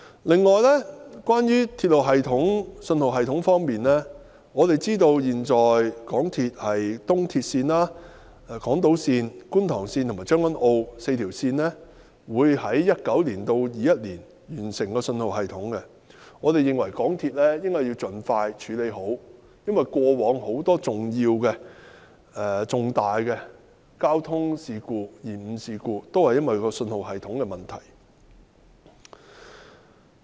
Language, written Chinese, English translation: Cantonese, 此外，在鐵路系統及信號系統方面，我們知道港鐵公司的東鐵線、港島線、觀塘線及將軍澳線這4條鐵路線，將於2019年至2021年完成安裝新信號系統，我們認為港鐵公司應盡快妥善安裝，因為過往很多重大交通延誤事故皆因信號系統出現問題而起。, Moreover in terms of railway system and signalling system we know that the installation of the new signalling systems at four railway lines of MTRCL namely the East Rail line the Island line the Kwun Tong line and the Tseung Kwan O line will be completed in the period from 2019 to 2021 . In our view MTRCL should properly install the systems as soon as possible as in the past many major service disruptions were caused by the problems with the signalling systems